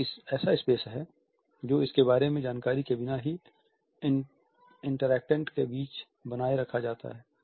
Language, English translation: Hindi, It is a space which is maintained between interactants without being aware of it